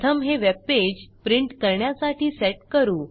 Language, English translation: Marathi, First lets set up this web page for printing